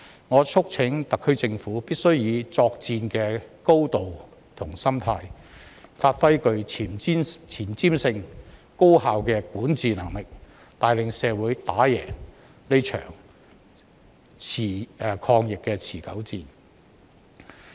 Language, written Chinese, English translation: Cantonese, 我促請特區政府必須以作戰的高度和心態，發揮具前瞻性、高效的管治能力，帶領社會打贏這場抗疫持久戰。, I urge the SAR Government to work with the spirit and attitude of fighting a war and demonstrate its forward - looking and efficient governance capabilities to lead the community in winning this protracted battle against the epidemic